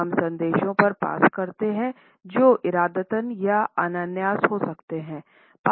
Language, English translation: Hindi, We pass on messages which may be intended, but mostly they are unintended